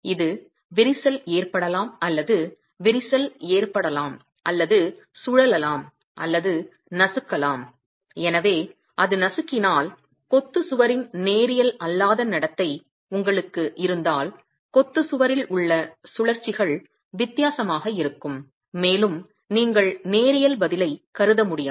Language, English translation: Tamil, It can either crack or it can crack and rotate or crush and therefore if it is crushing then you have the non linear behavior of the masonry wall, the rotations in the masonry wall will be different and you cannot assume a linear response then